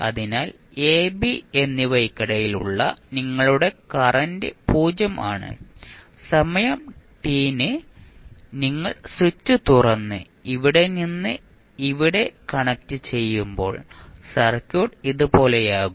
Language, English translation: Malayalam, So, your current between a and b is 0 and when you at time t is equal to you open the switch and connect from here to here the circuit will become like this